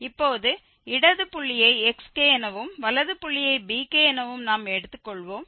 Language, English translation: Tamil, Now, the left point we will take xk and the right point we will take bk